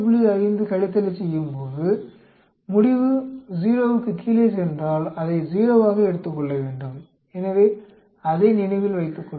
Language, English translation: Tamil, 5 subtraction if the result goes below 0, we should take it as 0, so remember that